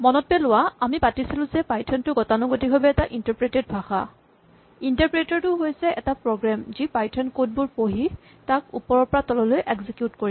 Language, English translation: Assamese, So remember that we said python is typically interpreted, so an interpreter is a program, which will read python code and execute it from top to bottom